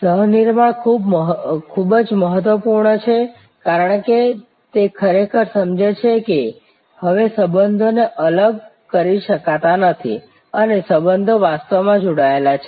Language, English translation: Gujarati, The co creation is very important, because it actually understands that now the relationships cannot be segregated, the relationships are actually quit connected